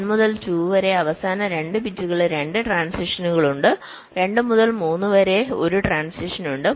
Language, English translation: Malayalam, there are two transitions in the last two bits from two to three